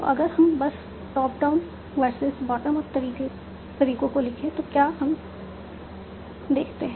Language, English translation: Hindi, So if we just try to compare this top down versus what in my approaches so what do we see